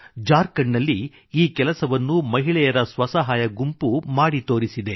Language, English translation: Kannada, A self help group of women in Jharkhand have accomplished this feat